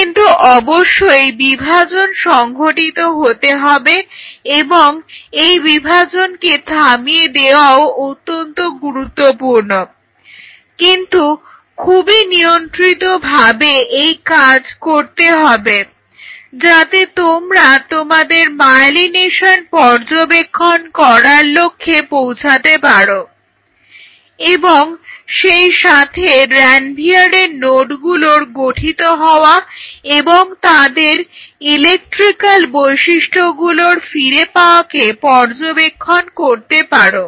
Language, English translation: Bengali, But one has to do that division stopping that division is essential, but in a very controlled way so that you can achieve your goal of seeing the myelination happening as well as seeing the nodes of Ranvier formation and their electrical properties they regain it